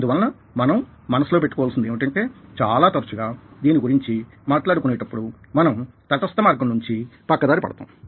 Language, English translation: Telugu, we have to keep in mind that very often, the moment we are talking at it should, it is a deviation from a neutral path